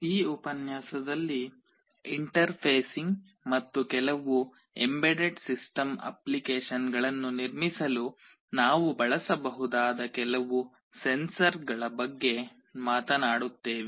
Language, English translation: Kannada, We shall be talking about some of the sensors that we can use for interfacing and for building some embedded system applications in this lecture